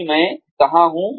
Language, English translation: Hindi, Where am I today